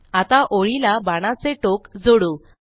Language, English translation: Marathi, Now, let us add an arrowhead to the line